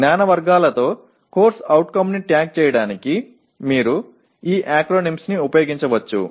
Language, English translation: Telugu, You can use these acronyms to tag the CO with knowledge categories